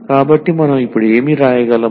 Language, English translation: Telugu, So, what we can write down now